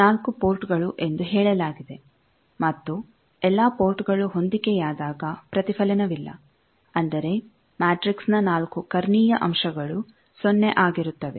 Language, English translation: Kannada, So, it is said that 4 ports and no reflection when all the ports are matched that means you can easily say that the 4 diagonal elements of the matrix will be 0 as network is reciprocal